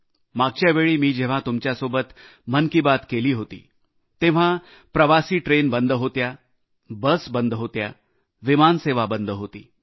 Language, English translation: Marathi, The last time I spoke to you through 'Mann Ki Baat' , passenger train services, busses and flights had come to a standstill